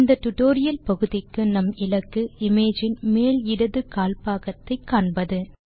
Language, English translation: Tamil, Our goal for this part of the tutorial would be to get the top left quadrant of the image